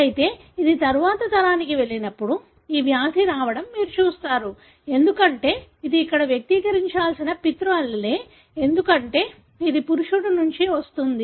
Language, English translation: Telugu, But however, when it goes to the next generation, you see the disease coming up, because this is a paternal allele that should be expressed here, because this, this goes from a male